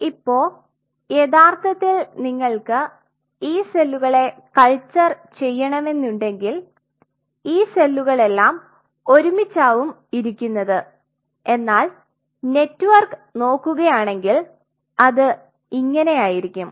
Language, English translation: Malayalam, Now, when you have to make a culture in real life these cells are all sitting together, so you have if you see the network, network is something like this